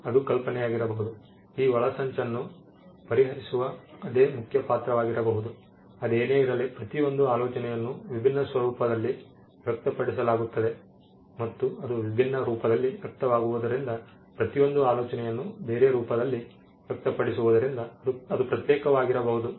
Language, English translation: Kannada, It could be the same idea it could be the same main character who solves these plots, nevertheless each idea is expressed in a different format and because it is expressed in a different form each idea as it is expressed in a different form can have a separate right